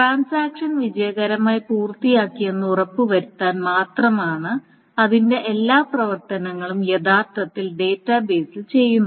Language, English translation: Malayalam, So just to ensure that if the transaction said it has successfully completed all its operations are actually being done on the database